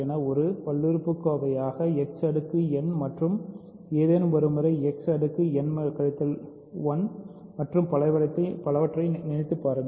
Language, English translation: Tamil, So, think of g 0 as a polynomial g 0 h 0 as a polynomial something X power n plus something times X power n minus one and so on